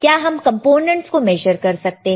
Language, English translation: Hindi, Can you measure the components